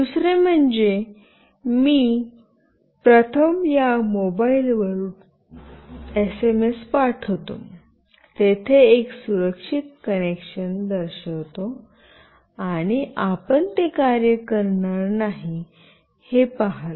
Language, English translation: Marathi, Secondly, I will show a secure connection where I will first send SMS from this mobile phone, and you will see that it will not work